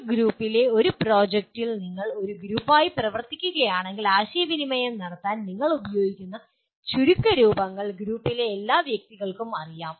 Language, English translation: Malayalam, A group of, in a project if you are working as a group, then the language the acronyms that you use for communicating they are known to all the persons in the group